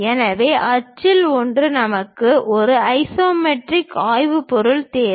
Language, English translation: Tamil, So, one of the axis we need isometric theme